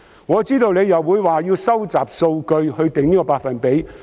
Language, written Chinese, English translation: Cantonese, 我知道局長又會推說要收集數據來釐定該百分比。, I am sure the Secretary will again argue that the Government needs to collect data before it can determine the percentage